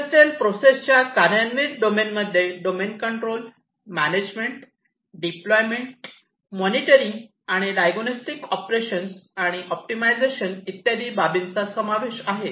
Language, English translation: Marathi, The operational domain of the industrial processes include the control domain, the management, deployment, monitoring and diagnostics, operations, and optimization